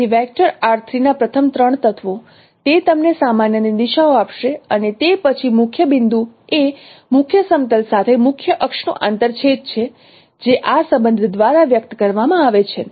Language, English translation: Gujarati, So the first three elements of the vector R3 it would give you the directions of the normal and then principal point is the intersection of the principal axis with the image plane which is you know expressed by this relationship